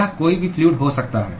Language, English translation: Hindi, It could be any fluid